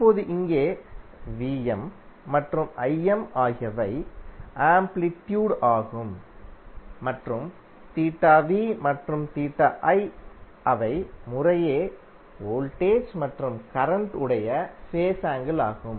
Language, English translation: Tamil, Now, here Vm and Im are the amplitudes and theta v and theta i are the phase angles for the voltage and current respectively